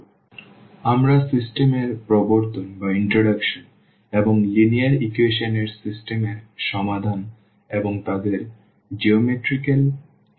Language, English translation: Bengali, So, we will be covering the introduction to the system and also the solution of the system of linear equations and their geometrical interpretation